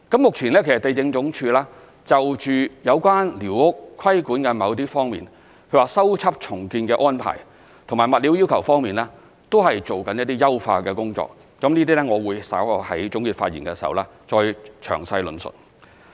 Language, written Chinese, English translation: Cantonese, 目前，地政總署就有關寮屋規管的某些方面，例如修葺重建的安排，以及物料要求方面，都正進行一些優化的工作，這些我會稍後在總結發言時再詳細論述。, At present LandsD is enhancing certain aspects of the squatter control policy such as arrangements related to repair and rebuilding and requirements on building materials . I will explain in greater detail in my closing remarks